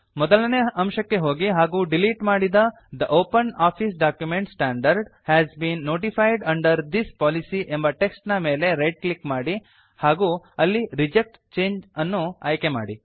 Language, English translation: Kannada, Go to point 1 and right click on the deleted text The OpenOffice document standard has been notified under this policy and select Reject change